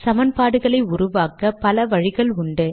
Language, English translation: Tamil, What do you do when you have more than one equation